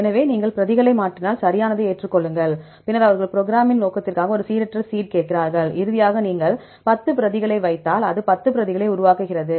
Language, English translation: Tamil, So, and if you change the replicates then accept right, then the they ask for a random seed that is for the programming purpose right and finally, it will get if you put 10 replicates, it generate 10 replicates